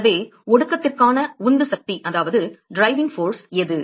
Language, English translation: Tamil, So, what is the driving force for condensation